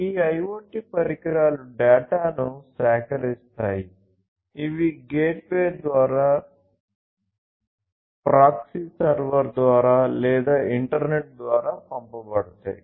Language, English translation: Telugu, So, this data will be sent through the gateway, through maybe a proxy server, through the internet